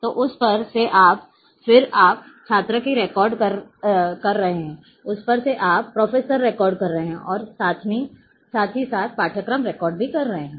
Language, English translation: Hindi, Then you are having student records you are having professor records you are having courses records